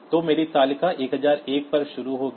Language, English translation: Hindi, So, my table will start at 1001, my table will start at 1001